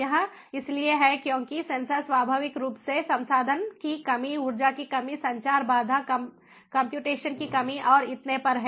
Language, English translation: Hindi, because the sensors are inherently resource constraint, energy constraint, communication constraint, computation constraint and so on